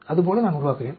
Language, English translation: Tamil, Like that I will build up